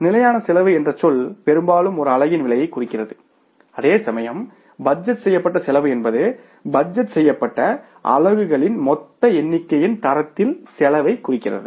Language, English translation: Tamil, The term standard cost often refers to the cost of a single unit whereas the term budgeted cost often refers to the cost at standard of the total number of the budgeted units